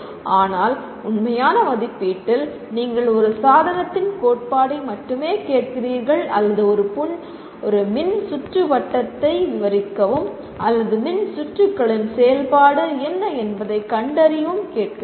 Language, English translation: Tamil, But in actual assessment you only ask the theory of a device or describe a circuit or find out what is the function of the circuit